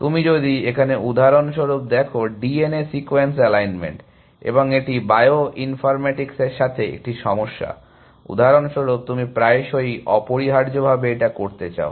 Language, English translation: Bengali, So, if you look at for example, D N A sequence alignment, and that is a problem with in bio informatics, for example, you want to do very often essentially